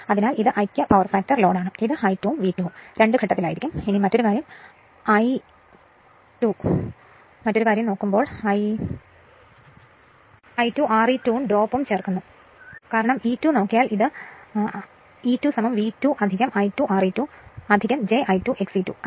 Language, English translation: Malayalam, So and as it is unity power factor load so, your that this is my I 2 and V 2 both will be in phase right and this is another thing is I 2 R e 2 drop also you add because E 2 is equal to if you just look into this that E 2 is equal to your V 2 plus I 2 R e 2 plus j I 2 X e 2 right